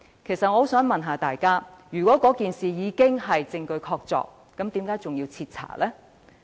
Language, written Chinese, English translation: Cantonese, 我想問大家，如果事情已屬證據確鑿，為何還要徹查？, I would like to ask fellow Members what is the point of conducting a thorough investigation if irrefutable evidence is present?